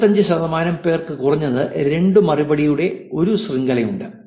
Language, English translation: Malayalam, 25 percent have a chain of at least 2 replies